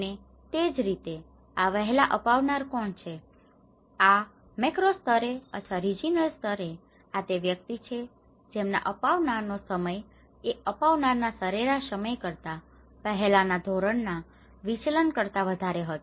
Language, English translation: Gujarati, And similarly, and who are these early adopters; these at a macro level or regional level these are the individuals whose time of adoption was greater than one standard deviation earlier than the average time of adoption